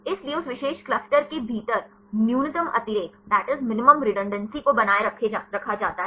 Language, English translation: Hindi, So, that the minimum redundancy is maintained within that only particular cluster